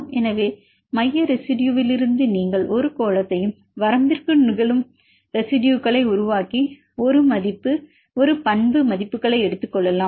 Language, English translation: Tamil, So, from the central residue you can make a sphere and the account the residues which are occurring within the limits and take the i property values